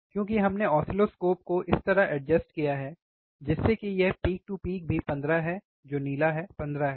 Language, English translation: Hindi, Because we have adjusted the oscilloscope, such that even the this peak to peak is 15 that is the blue one is 15 if I if I put it here, right